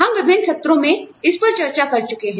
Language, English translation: Hindi, We have been discussing this, in various sessions